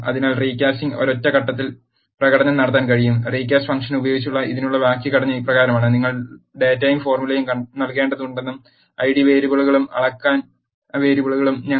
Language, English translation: Malayalam, So, recasting can perform in a single step, using recast function the syntax for this is as follows, recast you have to give the data and the formula and we have to also give id variables and measurement variables